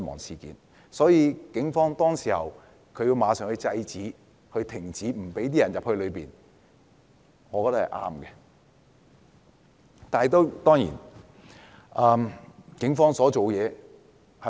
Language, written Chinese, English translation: Cantonese, 所以，警方當時要馬上制止示威者進入立法會內，我認為這做法是正確的。, For this reason the Police had to immediately stop the protesters from entering the Complex . I think this is the right approach